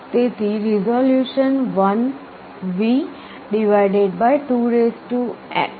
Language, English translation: Gujarati, So, the resolution will be 1V / 28 = 3